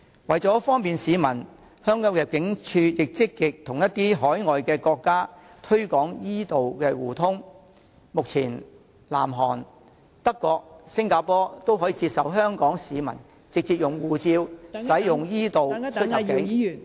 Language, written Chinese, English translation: Cantonese, 此外，為方便市民，香港入境事務處亦積極與一些海外國家推廣 e- 道互通，目前南韓、德國及新加坡均接受香港市民直接以護照使用 e- 道出入境......, Besides for the convenience of travelers the Immigration Department has been actively promoting the mutual use of e - Channel services between Hong Kong and other overseas countries and holders of a HKSAR electronic passport can now enrol for the automated immigration clearance service in South Korea Germany and Singapore